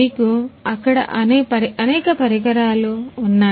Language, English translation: Telugu, You have number of instruments that are there